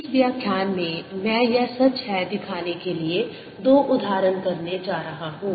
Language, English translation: Hindi, in this lecture i am going to do two examples to show this is true